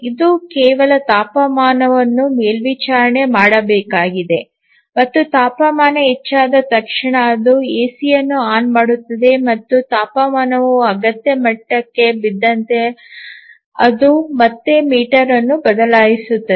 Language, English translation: Kannada, The task is very simple it just needs to monitor the temperature and as soon as the temperature rises it turns on the AC and as the temperature falls to the required level it again switches up the motor